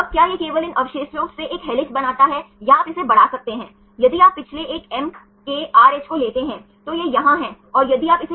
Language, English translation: Hindi, Now whether this only these residues form an helix or you can extend it then, if you take the last one MKRH, it is here and then if you do it here